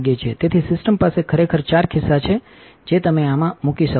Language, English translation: Gujarati, So, the system actually has four pockets that you can put this in